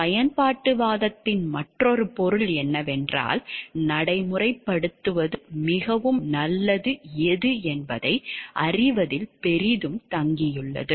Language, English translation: Tamil, Another object to utilitarianism is that implementation depends greatly on knowing what will lead to the most good